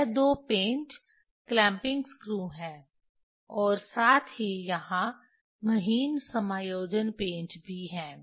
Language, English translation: Hindi, This two should clamping screw as well as there are fine adjustments screws